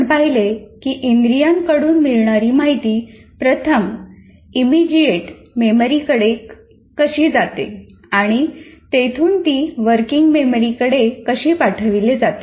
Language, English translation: Marathi, And there we looked at how does the sensory information passes on to immediate memory and then working memory